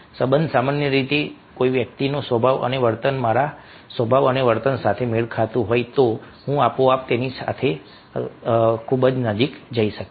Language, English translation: Gujarati, if somebody's nature and behavior is matching with my nature and behavior, i will be automatically very close to him or her